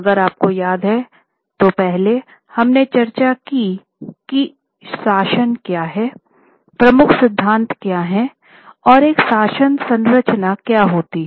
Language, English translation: Hindi, If you remember, first we discussed about what is governance, what are the major principles and what is a governance structure